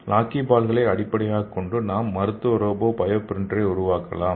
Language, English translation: Tamil, So based on this lockyballs, we can make clinical robotic bio printer